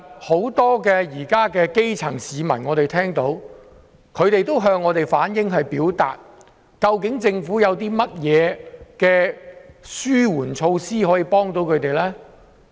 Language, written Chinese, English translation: Cantonese, 很多基層市民也向我們反映，政府有甚麼紓緩措施可以幫助他們。, Many grass - roots people ask us what relief measures the Government will implement to help them